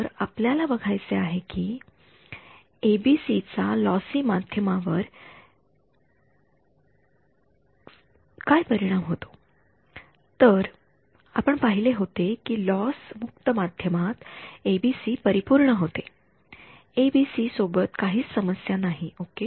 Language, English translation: Marathi, So, we want to see what is the impact of the ABC in a lossy medium we saw that in a loss free medium ABC was perfect no problem with ABC ok